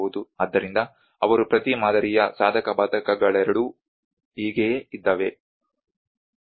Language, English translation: Kannada, So that is how they are both pros and cons of each model